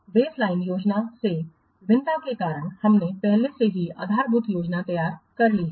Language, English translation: Hindi, The reasons for variances from the baseline plan, you have already prepared the baseline plan